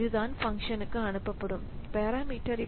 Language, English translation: Tamil, So, that is the parameter that is passed to this function